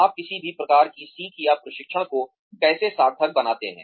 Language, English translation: Hindi, How do you make any type of learning or training meaningful